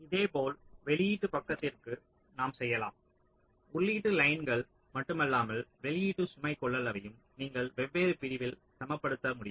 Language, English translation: Tamil, similarly we can do for the output side, like, not only the input lines but also the output load capacitance you can balance across the different ah sigma